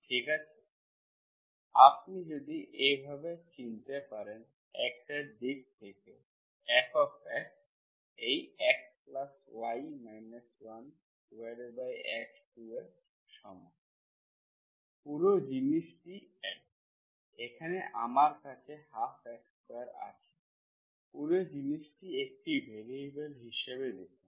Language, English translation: Bengali, Okay, if you can go on to recognise like this, in terms of x, F of x equal to this whole thing is x, here I have one by 2 into x square, whole thing is one variable, view it as one variable